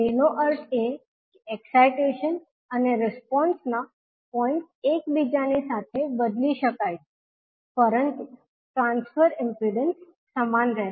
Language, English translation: Gujarati, It means that the points of excitation and response can be interchanged, but the transfer impedance will remain same